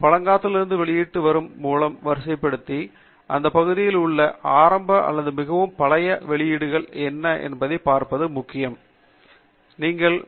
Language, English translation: Tamil, And sorting by publication date, where the oldest is at the top, is important to see what are all the early or very old publications in this area, so that you can see how this particular research area has started